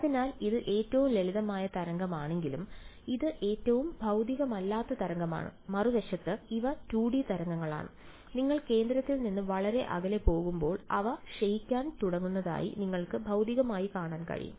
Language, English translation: Malayalam, So even though it is a simplest kind of wave, it is the most unphysical kind of wave this on the other hand these are 2 D waves, which physically you can see that they as you go far away from the center they begin to decay of which is what we expect ok and subsequently we will come to 3 D waves also